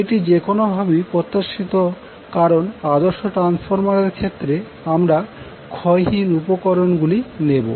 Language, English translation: Bengali, Now, this is any way expected because in case of ideal transformer, you will take transformer as a lossless equipment